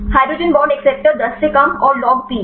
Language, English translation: Hindi, Hydrogen acceptor less than 10 and log p